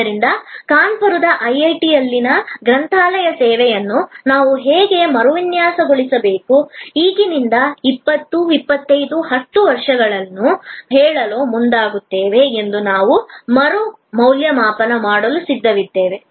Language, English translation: Kannada, So, we wanted to reassess that what will be the trajectory, how should we redesign the library service at IIT, Kanpur, going forward to say 20, 25, 10 years from now